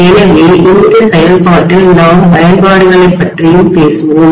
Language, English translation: Tamil, So in the process we will also be talking about applications, right